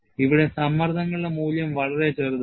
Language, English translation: Malayalam, You will have very small value of stresses here